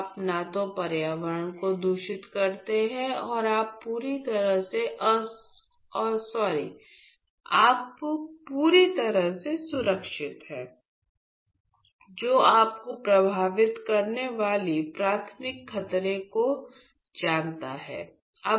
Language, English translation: Hindi, So, that you neither contaminate the environment as well as you are protected you are completely protected from any sort of you know primary danger that could affect you